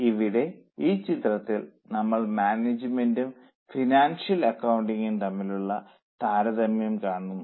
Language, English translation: Malayalam, So, here in this figure we are seeing a comparison of management versus financial accounting